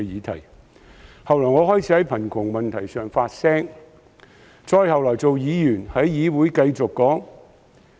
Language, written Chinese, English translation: Cantonese, 其後，我開始在貧窮問題上發聲；後來做了議員，亦繼續在議會發聲。, When I later became a Council Member I continued to speak up for the poor in the Council